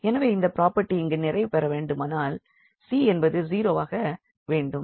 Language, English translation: Tamil, So, if this property need to be fulfilled here, then the c has to be 0